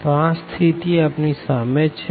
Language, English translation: Gujarati, So, that is the situation